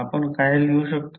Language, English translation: Marathi, What you can write